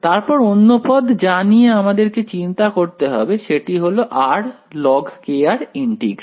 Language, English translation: Bengali, Then the other term that I have to worry about is integral of r log k r ok